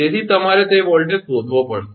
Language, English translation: Gujarati, So, you have to find that voltage